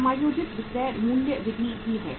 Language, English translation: Hindi, Adjusted selling price method is also there